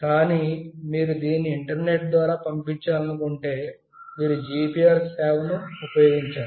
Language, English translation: Telugu, But, if you want to send it through to internet, then you have to use the GPRS service